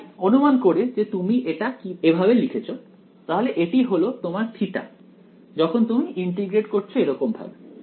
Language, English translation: Bengali, So, supposing you wrote this like this that this is your theta when you are integrating like this